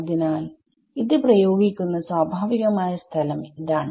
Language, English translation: Malayalam, So, the natural place to apply this is